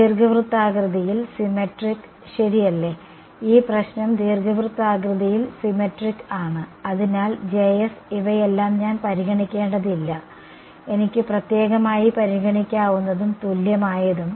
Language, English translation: Malayalam, Cylindrically symmetric right, this problem is cylindrically symmetric; so, I need not consider all of these J ss separate I can consider and equivalent I right